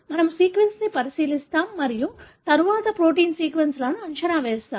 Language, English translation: Telugu, We look into the sequence and then we predict the protein sequence